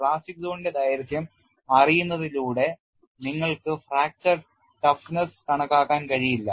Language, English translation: Malayalam, By knowing the plastic zone length you cannot estimate fracture toughness